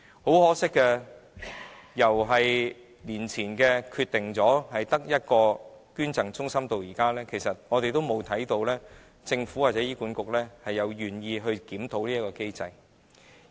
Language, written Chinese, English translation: Cantonese, 很可惜，由多年前決定只保存一個捐贈中心至今，我們從沒有看到政府或醫管局願意檢討這項機制。, However it is unfortunate that since the decision was made to retain only one donation centre the Government or HA has never shown its willingness to review this mechanism